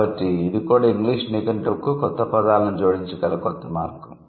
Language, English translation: Telugu, So, this is also a new way by which we can add new words to English lexicon